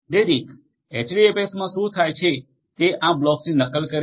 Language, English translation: Gujarati, So, what happens in HDFS is this blocks are replicated